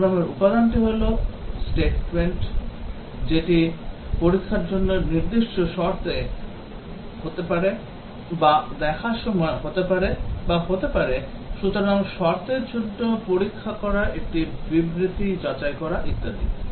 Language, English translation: Bengali, The program element can be statement, it can be specific condition in for look or may be while look or may be if, so checking for a condition, checking for a statement and so on